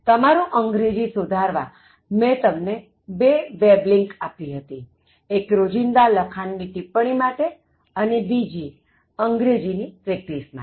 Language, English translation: Gujarati, In order to improve your English, further I gave you two web links: One on daily writing tips, the other one on English practice